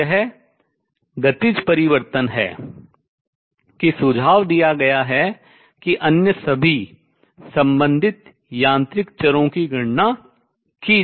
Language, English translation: Hindi, So, this is the kinematic change is that suggested an all the corresponding other mechanical variables can be calculated